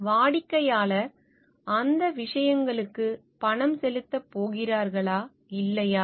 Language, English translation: Tamil, Then are the client's going to pay for those things or not